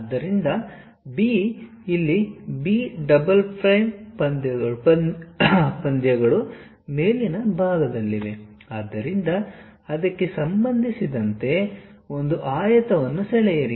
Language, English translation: Kannada, So, B here B double prime matches on the top side; so, with respect to that draw a rectangle